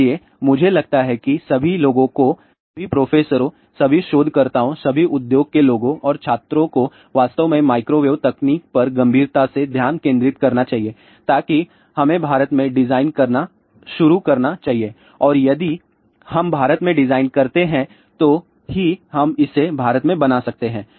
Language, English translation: Hindi, So, I think all the people all the professors, all the researchers, all the industry people and students they should really seriously focus on microwave technology, so that we should start designing in India and if we design in India then only we can make in India